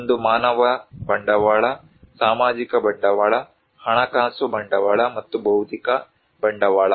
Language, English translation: Kannada, One is a human capital, social capital, financial capital and physical capital